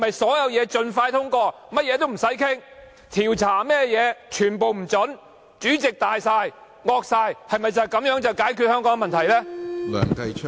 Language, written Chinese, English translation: Cantonese, 所有事情盡快通過，不作討論；調查一概不准；主席大權在握，橫行霸道，難道就是你們解決香港問題的方法嗎？, Is this your solution to the problems of Hong Kong by pushing through the passage of every government proposal without discussion allowing no investigations and placing tyrannical powers in the hands of the President?